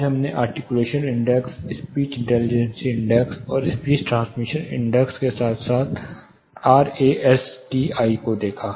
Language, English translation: Hindi, Today we looked at articulation index, speech intelligibility index, and speech transmission index as well as RASTI